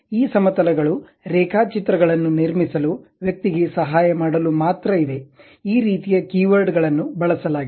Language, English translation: Kannada, This planes are just for the to help the person to construct the drawings, these kind of keywords have been used